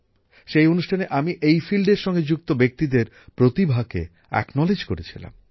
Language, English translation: Bengali, In that program, we had acknowledged the talent of the people associated with this field